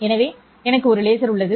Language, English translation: Tamil, So, I have a laser